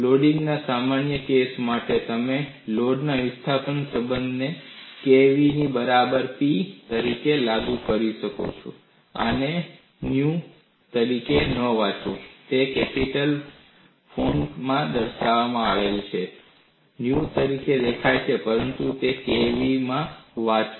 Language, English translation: Gujarati, For a general case of loading, you could apply the load displacement relation as P equal to k v; do not read this as nu; it is appears in the italic font; appears as nu, but read this as k into v